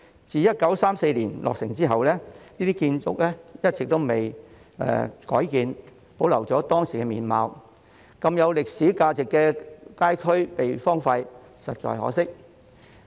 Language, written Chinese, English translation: Cantonese, 自1934年落成後，這些建築一直未有改建，保留了當時的面貌，如此有歷史價值的街區被荒廢，實在可惜。, Since their completion in 1934 these houses have not been altered and retained their original appearances . It is indeed a pity if the street area with such a high historical value is left unused